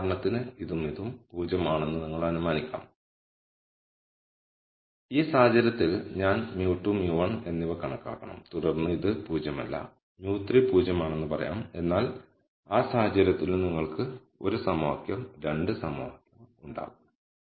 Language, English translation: Malayalam, You could for example, assume that this and this are 0 in which case I have to compute mu 2 and mu 1 and then let us say this is not 0 then mu 3 is 0, but in that case also you will have 1 equation, 2 equation this equal to 0 is 1 equation and this equal to 0 is 1 equation